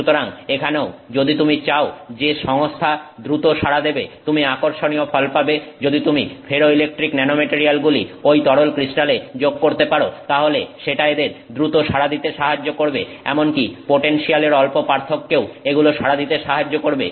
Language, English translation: Bengali, So, here also if you want the system to respond faster, it is interesting if you can add ferroelectric nanomaterials to those, you know, liquid crystals and then that will help them respond faster, it will help them respond to even minor changes in potential